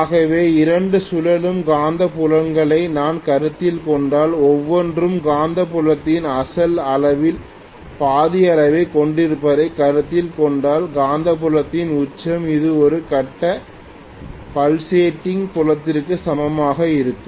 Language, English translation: Tamil, So you can very well see that if I consider two revolving magnetic fields each having a magnitude of half the original magnitude of the magnetic field, peak of the magnetic field then it will be equivalent to a single phase pulsating field